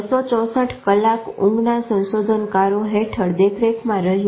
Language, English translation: Gujarati, 264 hours in the supervision of sleep researchers